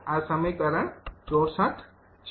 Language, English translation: Gujarati, this is equation sixty four